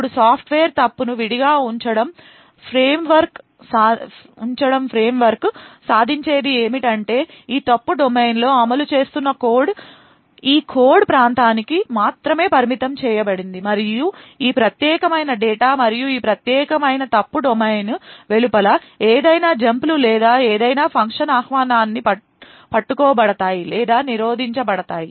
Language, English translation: Telugu, Now what the Software Fault Isolation framework achieves is that code that is executing within this fault domain is restricted to only this code area and this particular data and any jumps or any function invocation outside this particular fault domain would be caught or prevented